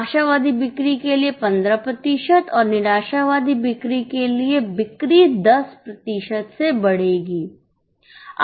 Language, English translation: Hindi, Sales, for optimistic sale growth of 15%, for pessimistic sale growth of 10%